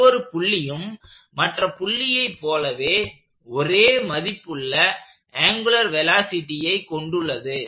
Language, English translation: Tamil, Every point has the same angular velocity about every other point